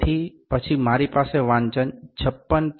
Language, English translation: Gujarati, So, then I am left with this reading 57